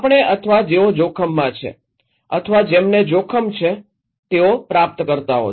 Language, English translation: Gujarati, We have or those who are at risk, those who are at risk they are the receivers of this